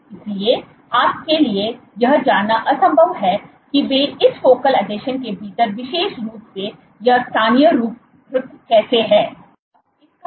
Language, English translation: Hindi, So, you it is impossible to know how they are specially localized within this focal adhesion